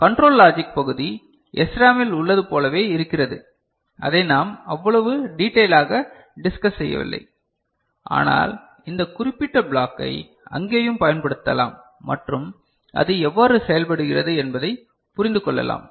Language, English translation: Tamil, The control logic part remains as it was for SRAM, which we did not discuss in that detail, but we can apply this particular block there also and understand how it works